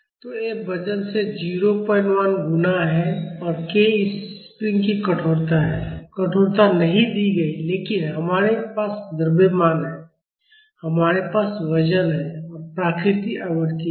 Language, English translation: Hindi, 1 multiplied by the weight, and k is the stiffness of this spring; the stiffness is not given, but we have the mass, we have the weight, and the natural frequency